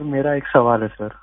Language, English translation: Hindi, Sir, I have a question sir